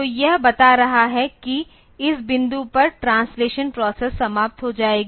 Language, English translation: Hindi, So, this is telling that there is translation process will be ending at this point